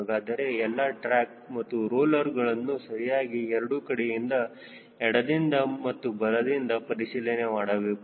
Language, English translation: Kannada, so all the tracks and the rollers have to be inspected on both sides, on the left side and as well as the right side